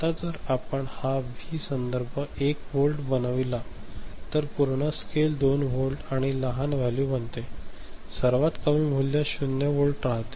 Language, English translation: Marathi, Now, if you make this V reference 1 volt ok, then the full scale becomes 2 volt and the smaller value, the lowest value remains 0 volts